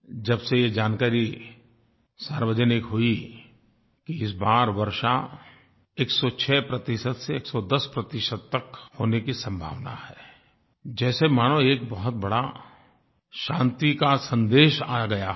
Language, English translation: Hindi, Thus ever since the day it became public knowledge that rainfall this year is expected to be between 106% and 110% it seems as if tidings of peace and happiness have come